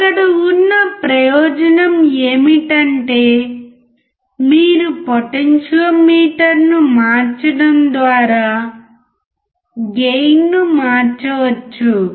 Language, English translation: Telugu, The advantage here is you can change the gain by changing the potentiometer